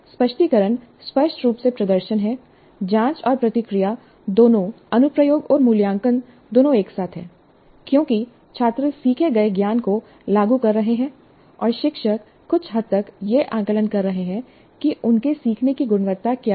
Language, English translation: Hindi, Probe and respond is both application and assessment together because the students are applying the knowledge learned and the teacher is to some extent assessing what is the quality of the learning